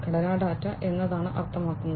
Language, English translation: Malayalam, Structure data means what